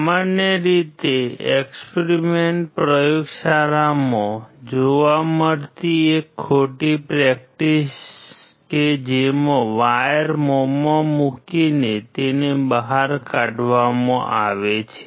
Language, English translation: Gujarati, A wrong practice usually seen in the laboratories is putting the wire in the mouth and clipping it out